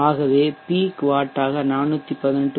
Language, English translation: Tamil, So if you are using 4 18